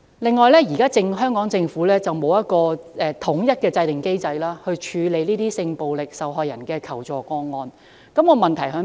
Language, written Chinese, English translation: Cantonese, 此外，現時香港政府並無制訂統一機制，處理性暴力受害人的求助個案，這有甚麼問題呢？, The Hong Kong Government has not established a standardized mechanism so far for handling assistance - seeking cases concerning sexual violence victims . What is the problem with this?